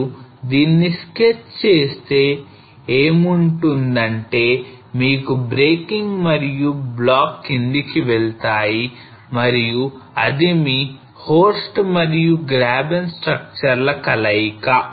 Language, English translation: Telugu, So if you stretch something what you will have you will have the breaking and the blocks moving down and that is your combination of horst and graben structure